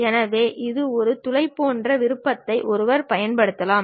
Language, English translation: Tamil, So, one can use a option like hole